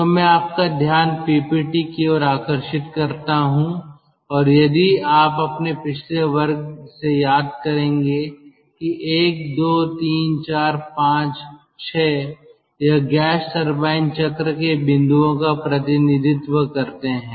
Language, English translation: Hindi, so i draw your attention to the ppt and if you recall from your earlier class that one, two, three, four, five, six, they represent the points over the gas turbine cycle